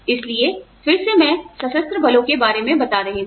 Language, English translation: Hindi, So, in again, I keep talking about the armed forces